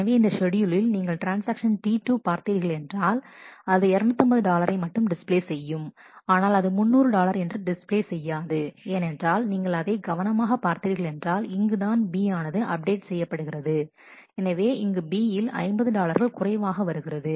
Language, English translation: Tamil, So, in this schedule if we look at the transaction T 2 will display only 250 dollar, it will not display 300 dollar why because, if you if you look at this carefully, if you look at this carefully this is where B has got updated